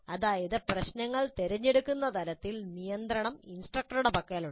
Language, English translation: Malayalam, That means at the level of choosing the problems the control rests with the instructor